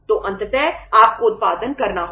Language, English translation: Hindi, So ultimately you have to go for the production